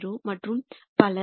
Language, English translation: Tamil, 3800 and so on